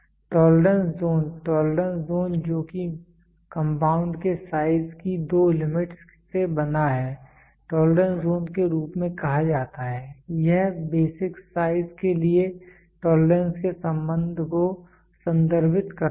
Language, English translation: Hindi, Tolerance zone, the tolerance zone that is bound by the two limits of size of the compound are called as tolerance zone, it refer to the relationship between the relationship of tolerance to basic size